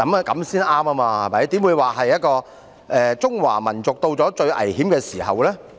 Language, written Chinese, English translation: Cantonese, 怎會說"中華民族到了最危險的時候"？, How could one say that the peoples of China are at their most critical time?